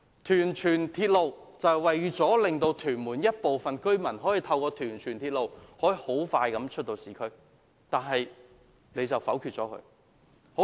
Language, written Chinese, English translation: Cantonese, 屯荃鐵路是為了讓屯門部分居民可以經屯荃鐵路迅速到市區，但政府卻否決了。, The construction of the Tuen Mun to Tsuen Wan Link will provide some residents in Tuen Mun with another route to reach the urban area quickly but the proposal was vetoed by the Government